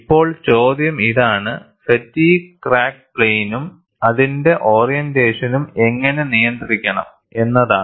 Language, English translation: Malayalam, Now, the question is, how the fatigue crack plane and its orientation has to be controlled